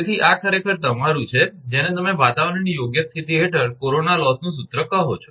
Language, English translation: Gujarati, So, this is actually your, what you call that corona loss formula under fair weather condition